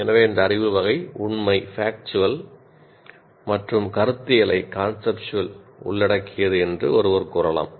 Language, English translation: Tamil, So one can say this knowledge category can involve factual and conceptual